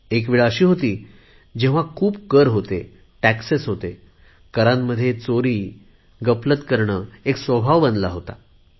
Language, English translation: Marathi, There was a time when taxes were so pervasive, that it became a habit to avoid taxation